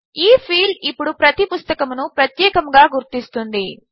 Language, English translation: Telugu, This field now will uniquely identify each book